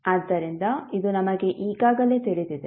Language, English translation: Kannada, So, this we already know